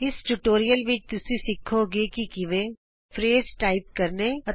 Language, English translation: Punjabi, In this tutorial, you will learn how to: Type phrases